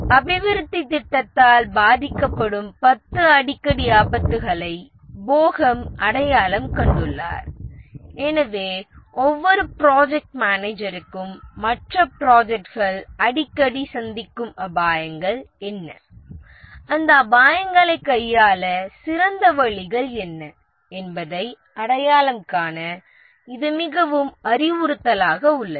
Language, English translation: Tamil, Bohem has identified 10 most frequent risks that development projects suffer and therefore this is quite instructive for every project manager to identify what are the most frequent risks that the other projects have suffered and what are the best ways available to handle those risks